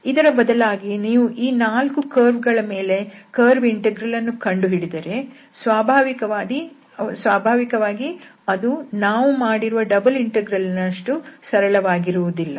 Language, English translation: Kannada, So, if you do this curve integral for instance, over these 4 curves 4 lines, then naturally it will not be as simple as we have computed this double integral